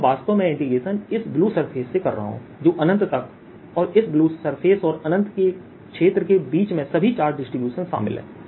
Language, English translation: Hindi, so i am, i am actually doing this integration from this blue surface which to infinity and this blue surface and infinity region in between, includes all the charge distribution